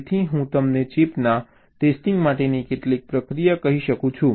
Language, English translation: Gujarati, so i can tell you some procedure for testing the chip